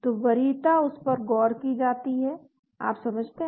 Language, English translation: Hindi, so the preference is considered to that, you understand